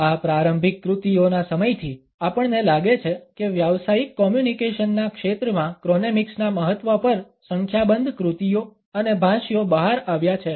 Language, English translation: Gujarati, Since these early works, we find that a number of works and commentaries have come out on the significance of chronemics in the field of professional communication